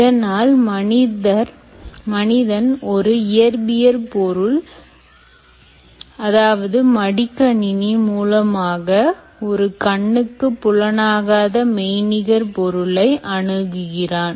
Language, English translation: Tamil, so now the human is actually accessing a virtual object through the laptop, which is a physical object